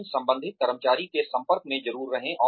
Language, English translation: Hindi, But, definitely stay in touch, with the concerned employee